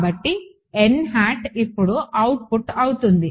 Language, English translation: Telugu, So, n hat will be the output now